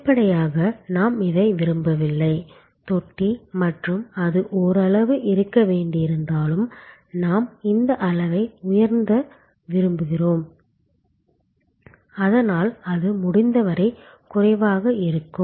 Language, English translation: Tamil, And obviously, we do not want this, the trough and we even if it has to be there to some extent, we would like to raise this level, so that it is as minimal as possible